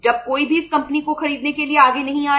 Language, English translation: Hindi, When nobody came forward to buy this company